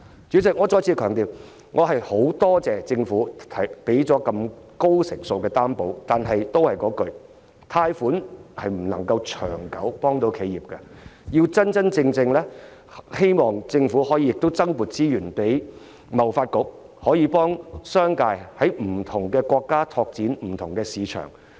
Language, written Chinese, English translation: Cantonese, 主席，我再次強調，我十分感謝政府提供的高成數擔保，但貸款並不能長遠地幫助企業，希望政府可以增撥資源給貿易發展局，真正幫助商界在不同國家拓展市場。, Chairman I reiterate my appreciation for the high ratio financing guarantee provided the Government . However loans cannot help businesses in the long run . I hope the Government can allocate more resources to the Trade Development Council for helping the business sector to open up more markets in different countries